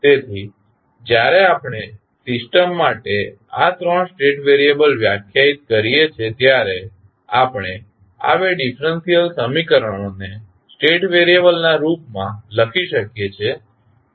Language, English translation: Gujarati, So, when we define these 3 state variables for the system we can write these 2 differential equation in the form of the state variable